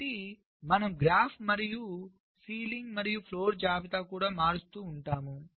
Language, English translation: Telugu, so you also keep changing the graph and also ceiling and floor list